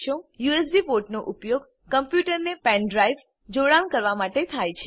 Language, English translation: Gujarati, The USB ports are used to connect pen drives to the computer